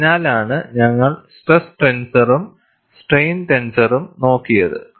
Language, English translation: Malayalam, That is why we have looked at stress tenser as well as strain tenser